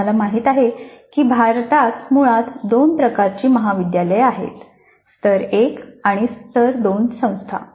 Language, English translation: Marathi, Now we know that in India basically there are two types of colleges, tier one and tire two institutions